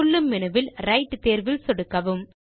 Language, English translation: Tamil, In the pop up menu, click on the Right option